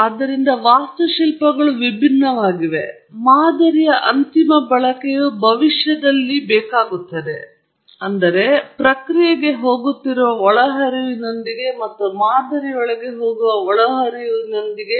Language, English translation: Kannada, So, the architectures are different, but the final use of the model is in prediction – basically, predicting the variable of interest to you